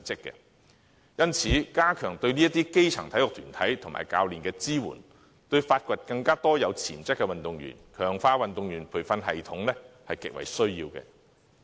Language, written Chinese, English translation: Cantonese, 因此，加強對基層體育團體及教練的支援，對發掘更多有潛質的運動員、強化運動員培育系統是極為重要的。, Therefore enhancing the support for sports groups and coaches at the grass - roots level is extremely important with regard to identifying more promising athletes and strengthening the incubation system for athletes